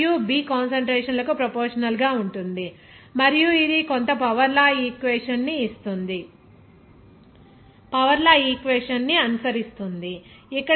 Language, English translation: Telugu, It will be proportional to the concentration of the A and B and it will follow some power law equation